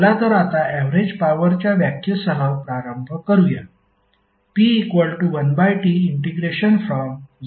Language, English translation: Marathi, So now let’s start with the average power definition